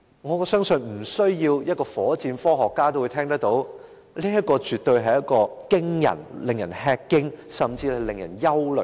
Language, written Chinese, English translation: Cantonese, 我相信即使不是火箭科學家也知道，此等數字絕對令人吃驚，甚至令人憂慮。, I think it does not take a rocket scientist to see that such figures are indeed alarming or even worrying